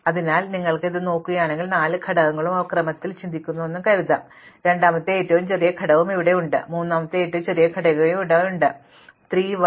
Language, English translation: Malayalam, So, if we look at this we can say that there are 4 elements and when we think of them in order, then the smallest element is here, the second smallest element is here, the third smallest element is here and the fourth smallest element is here